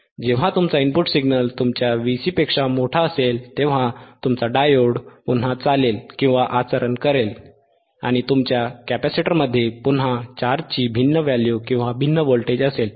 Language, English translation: Marathi, Wwhen your are input signal is greater than your V cVc, thaen again your diode will conduct and your capacitor will again have a different charge value, different charge value, or different voltage across the capacitor